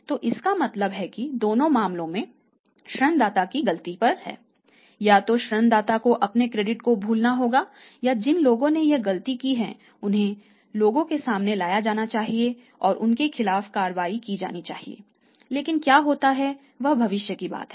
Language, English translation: Hindi, So, it means in both the cases the lender is at fault either has to forget his credit or the people who have committed this blender they should be brought to the books and the action should be taken but what happens that is the matter of now the future